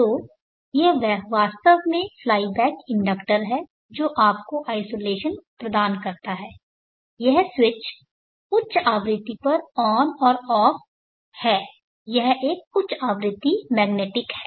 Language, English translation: Hindi, So this is actually a fly back inductor which gives you the isolation this switch is switched on and off at high frequency this is a high frequency magnetic